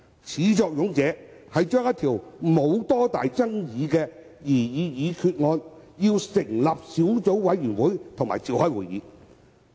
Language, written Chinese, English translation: Cantonese, 始作俑者就兩項沒有多大爭議性的擬議決議案成立小組委員會並召開會議。, They proposed to set up a subcommittee on the two uncontroversial proposed resolutions and convene a meeting